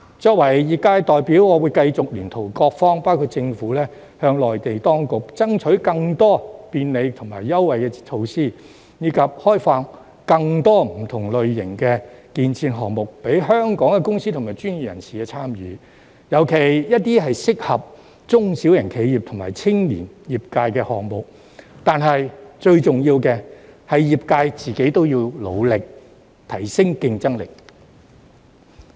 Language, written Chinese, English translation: Cantonese, 作為業界代表，我會繼續聯同各方包括政府，向內地當局爭取更多便利及優惠措施，以及開放更多不同類型的建設項目，供香港的公司及專業人士參與，尤其是一些適合中小型企業和青年業界人士的項目，但最重要的是業界要努力，提升競爭力。, As the representative of these sectors I will continue to work together with various parties including the Government to strive for the Mainland authorities support in providing more facilitation and concession measures and opening up various types of construction projects for the participation of Hong Kong firms and professionals especially those suitable for the participation of SMEs and young professionals . Nevertheless the most important of all is that the various sectors should work hard to enhance their competitiveness